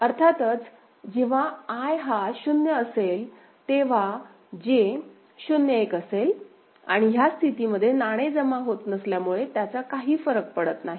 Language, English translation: Marathi, So, of course, I is equal to 0, then J is 0 1, it is you know, does not matter because no coin has been deposited that is the case ok